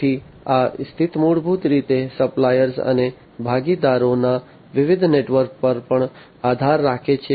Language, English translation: Gujarati, So, this position basically also depends on the different networks of suppliers and the partners